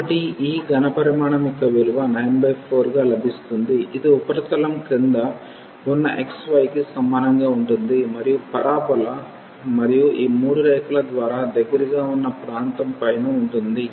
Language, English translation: Telugu, So, we get the value 9 by 4 of this volume which is below the surface y is equal to x y and above the region close by the parabola and these 3 lines